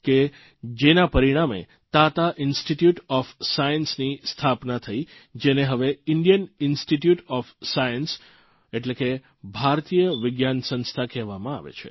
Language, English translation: Gujarati, It was his vision that culminated in the establishment of the Tata Institute of Science, which we know as Indian Institute of Science today